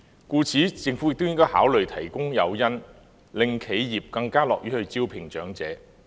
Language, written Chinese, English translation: Cantonese, 故此，政府亦應考慮提供誘因，令企業更樂於招聘長者。, In view of this the Government should also consider offering incentives to make enterprises more willing to hire elderly people